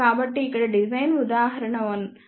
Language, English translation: Telugu, So, here is a design example 1